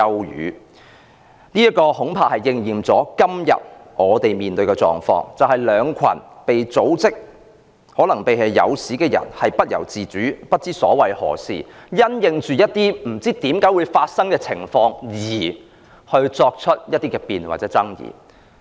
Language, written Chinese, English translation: Cantonese, "這番話恐怕應驗在今天我們面對的狀況，就是兩群被組織、可能更是被誘使的人不由自主，不明所以，因應一些不知為何會發生的情況而辯論或爭議。, I am afraid these remarks have rightly described our situation today . Two groups of people have been involuntarily and unknowingly mobilized and possibly they have even been coaxed into debating or arguing about something which has occurred for some unknown reasons